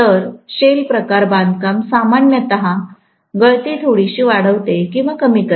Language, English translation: Marathi, So shell time construction generally enhances or reduces the leakage quite a bit